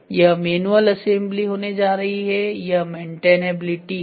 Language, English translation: Hindi, This is going to be the manual assembly, this is maintainability